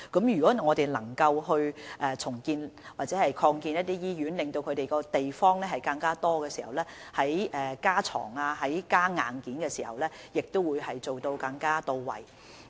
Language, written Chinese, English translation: Cantonese, 如果我們能夠重建或擴建一些醫院，增加醫院的地方，在加床或增加硬件時，便可更加到位。, If we can speed up hospital redevelopment or extension and thus provide them with additional space the addition of hospital beds or other hardware facilities will be able to achieve greater effectiveness